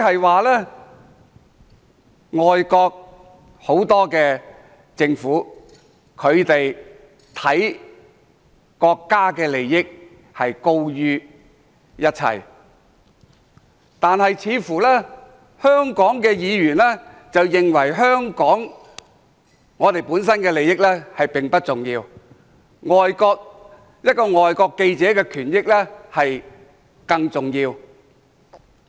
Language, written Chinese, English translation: Cantonese, 換言之，外國很多政府重視國家利益多於一切，但香港的議員似乎認為香港本身的利益並不重要，一名外國記者的權益更重要。, In other words the governments of many foreign counties put the interests of their countries first before anything else . However the Legislative Council Members in Hong Kong seem to think that Hong Kongs interests are not as important as the right and interests of a foreign journalist